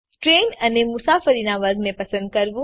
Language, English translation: Gujarati, To select the train and the class of travel